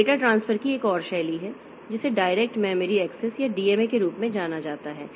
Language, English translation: Hindi, So, to solve this problem there is another transfer mechanism which is known as direct memory access or DMA is used